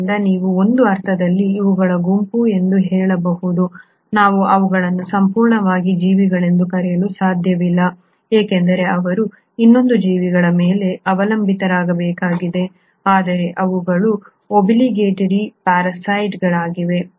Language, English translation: Kannada, So you can in a sense say that these are a group of, we cannot call them as organisms completely because they still need to depend on another living organism, but they are kind of obligatory parasites